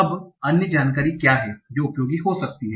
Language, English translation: Hindi, Now what can be the other information that is useful